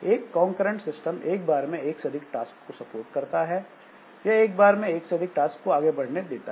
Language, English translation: Hindi, So, a concurrent system, it supports more than one task at a more than one task by allowing all the task to make progress